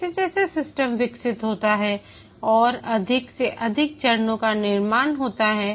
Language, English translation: Hindi, As the system develops, more and more phases are created